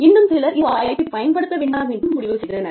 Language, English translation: Tamil, Yet others, decided not to go in for, this opportunity